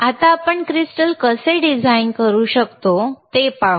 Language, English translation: Marathi, Now, let us see how we can design the crystal oscillator, how we can design the crystal oscillator or you can construct crystal oscillator